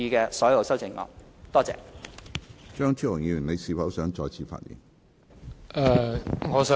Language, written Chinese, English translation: Cantonese, 張超雄議員，你是否想再次發言？, Dr Fernando CHEUNG do you wish to speak again?